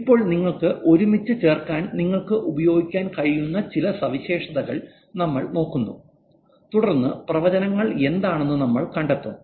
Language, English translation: Malayalam, Now we look at some features that you can actually use to put them together and then we'll find out about the prediction side